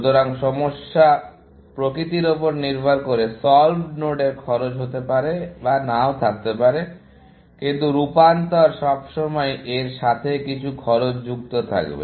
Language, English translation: Bengali, So, solved nodes may or may not have cost, depending on what is the nature of the problem, but transformations will always, have some costs associated with it